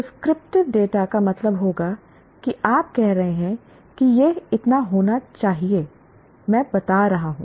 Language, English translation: Hindi, Prescriptive data would mean you are saying it should be so much